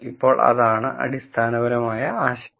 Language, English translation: Malayalam, So, that is the basic idea